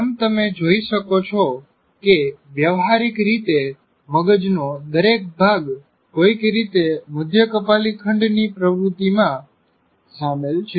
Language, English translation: Gujarati, As you can see, practically every part of the brain is somehow involved in many of the activities that we do